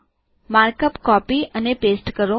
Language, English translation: Gujarati, I am copying and pasting the markup